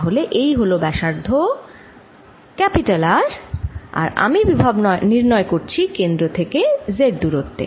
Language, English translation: Bengali, so this radius is r and i am calculating the potential at a distance z from the centre